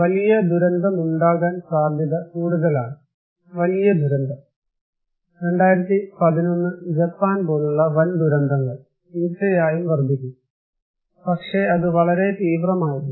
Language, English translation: Malayalam, Large catastrophic disaster is more likely to occur, large catastrophic disaster; big disasters like 2011 Japan one which surely is going to increase but that was very extreme